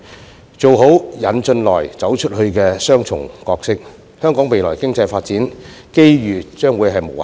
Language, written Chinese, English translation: Cantonese, 香港做好"引進來，走出去"的雙重角色，未來經濟發展機遇將會無限。, Hong Kong will have unlimited opportunities for economic development ahead if it can perform well its dual role of attracting foreign investment and going global